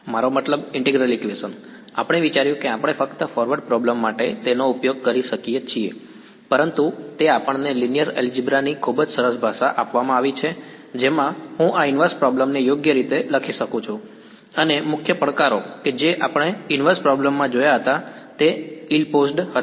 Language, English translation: Gujarati, I mean integral equations, we thought we could just use them for forward problems, but it is given us a very nice language of linear algebra in which I could write down this inverse problem right and the main challenges that we saw in the case of inverse problem was ill posed